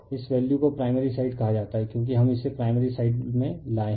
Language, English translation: Hindi, This/ this value called referred to the primary side because everything we have brought it to the primary side, right